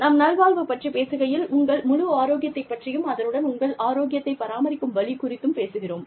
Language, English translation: Tamil, When we talk about, well being, we are talking about, the whole gamut of your health, plus, what keeps your health, the way it is